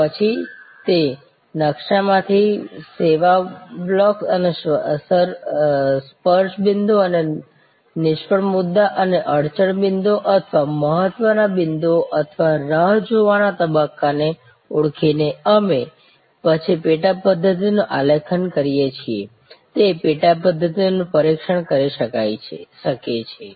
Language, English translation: Gujarati, Then, from that blue print by identifying the service blocks and the touch points and the fail points and the bottleneck points and the weight points or the waiting stages, we can then design subsystems, test those subsystems